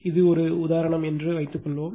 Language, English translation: Tamil, Suppose this is the example is taken this example right